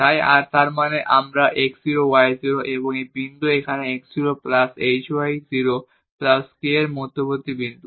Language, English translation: Bengali, So; that means, again this is the point here between this x 0 y 0 and this point here x 0 plus h y 0 plus k